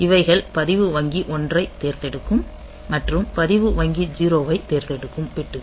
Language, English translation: Tamil, So, this register bank select 1 and register bank select 0 bits